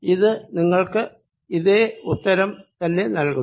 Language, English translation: Malayalam, that should give me the answer